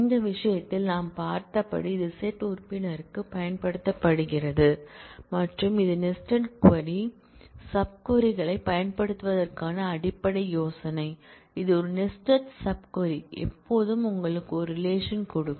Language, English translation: Tamil, And in this case as we have seen it is used for set membership and this is a basic idea of using nested sub queries; that is a nested sub query will always give you a relation